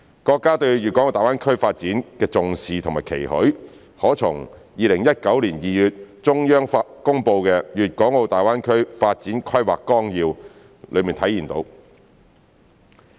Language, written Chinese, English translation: Cantonese, 國家對大灣區發展的重視和期許，可從2019年2月中央公布的《粵港澳大灣區發展規劃綱要》中體現。, The importance attached to and the expectation of our country on the development of GBA can be reflected in the Outline Development Plan for the Guangdong - Hong Kong - Macao Greater Bay Area promulgated by the Central Government in February 2019